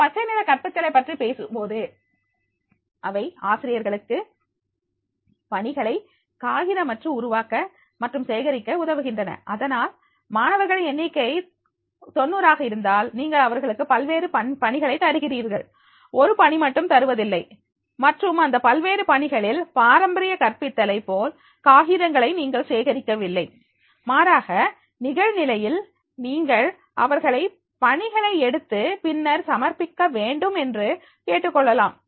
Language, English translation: Tamil, And when we are talking about the green teaching and therefore this becomes, helps the teachers to create and collect assignments the paperlessly and therefore if the number of students are 90 and then you are giving them multiple assignments, not a single assignments and then in that multiple assignments you did not to collect the papers like the traditional teaching rather than online you can ask them to go for the taking assignments and the submitting the assignments